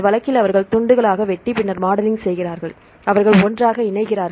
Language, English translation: Tamil, In this case they cut into pieces and then do the modeling and they join together